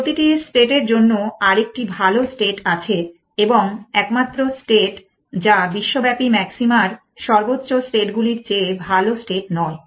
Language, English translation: Bengali, Every state has a better state and a only state is do not have better state of the global maxima states